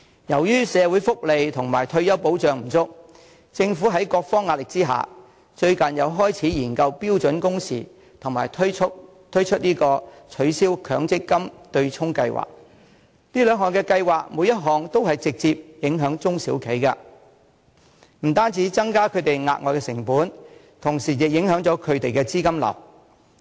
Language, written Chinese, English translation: Cantonese, 由於社會福利及退休保障不足，政府在各方壓力之下，最近又開始研究標準工時及推出取消強積金對沖計劃，每項都會直接影響中小企，不單帶來額外的成本，同時亦影響資金流。, Owing to the inadequacy of welfare benefits and retirement protection the Government has recently been driven by pressure from various sides to commence studies on standard working hours and put forward ideas on abolishing the offsetting arrangement under the Mandatory Provident Fund System . All such measures will have direct impact on SMEs adding to their costs and affecting their liquidity